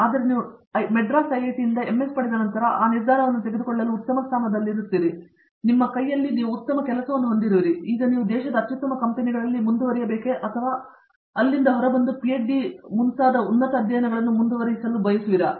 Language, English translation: Kannada, Whereas, after you get an MS from IIT, Madras you will be in a much better position to take that decision, you have a very good job that you have at your hand in one of the best companies in the country and now you can decide whether you want to continue with that or pursue even higher studies like PhD and so on and then go from there